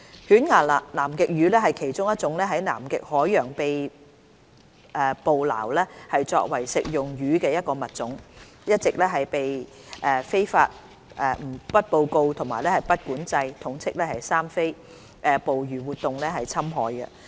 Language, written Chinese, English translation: Cantonese, 犬牙南極魚是其中一種在南極海洋被捕撈作為食用魚的物種，一直被非法、不報告和不管制捕魚活動侵害。, Toothfish one of the species harvested in the Antarctic Ocean as a table fish has been experiencing illegal unreported and unregulated fishing